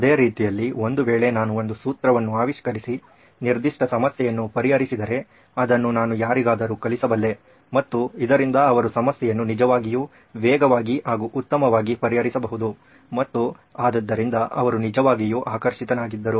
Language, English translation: Kannada, The same way if I knew a formula to invent, to solve a particular problem I could actually teach anybody and they could actually get faster with this get better at problem solving as well